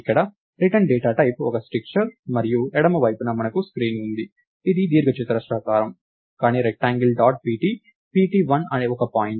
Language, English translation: Telugu, So, the return data type here is a structure and on the left side, we have screen which is a rectangle, but rectangle dot pd pt1 is a point